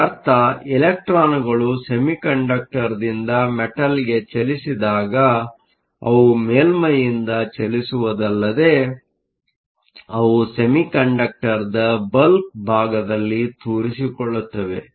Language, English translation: Kannada, This means, when the electrons move from the semiconductor to the metal they not only move from the surface, but they also penetrate at distance within the bulk of the semiconductor